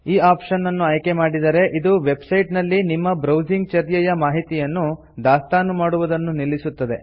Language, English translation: Kannada, Selecting this option will stop websites from storing information about your browsing behavior